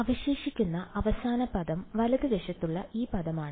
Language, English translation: Malayalam, So, the final term that remains is this term on the right hand side ok